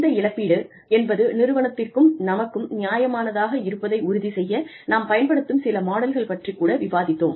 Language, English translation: Tamil, We also talked about, some models, that we can use, to ensure that, the compensation is, seems fair, both to the organization, and to us